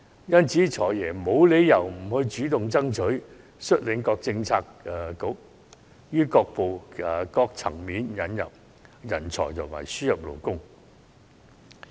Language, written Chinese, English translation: Cantonese, 因此，"財爺"沒理由不主動爭取，率領各政策局於各層面引入人才和輸入勞工。, There is therefore no reason why the Financial Secretary should not take the initiative to lead various bureaux in admitting talents and importing labour on all fronts